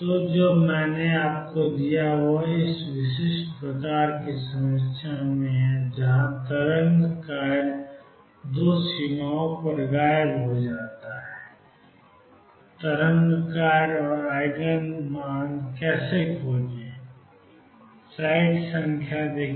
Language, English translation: Hindi, So, what I have given you is in this very specific kind of problem where the wave function vanishes at the 2 boundaries how to find the wave function and the Eigen energies